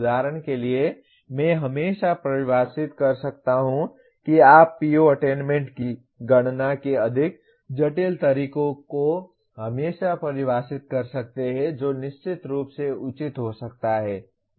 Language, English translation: Hindi, For example I can always define you can always define more complex way of computing the PO attainment which is certainly can be justified